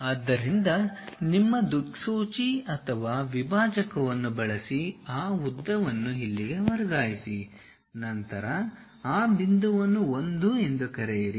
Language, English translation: Kannada, So, use your compass or divider whatever that length transfer that length to here, then call that point as 1